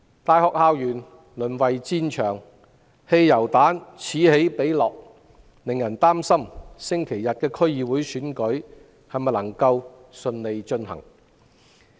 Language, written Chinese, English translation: Cantonese, 大學校園淪為戰場，汽油彈此起彼落，令人擔心星期日的區議會選舉能否順利進行。, The university campus has become a battlefield and petrol bombs have been hurled incessantly arousing worries about whether the DC Election can be held smoothly this Sunday